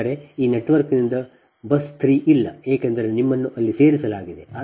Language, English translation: Kannada, that means from this network there is no buss three, because you are added there